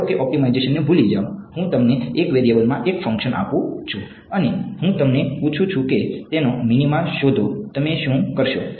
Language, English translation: Gujarati, Forget optimization supposing, I give you a function in 1 variable and I ask you find the minima of it what will you do